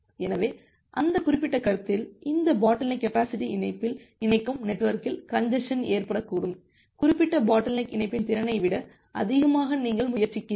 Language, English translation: Tamil, So, in that particular concept, the congestion may occur in the network where this bottle neck links in the bottleneck link, you are trying push more than the capacity of the particular bottleneck link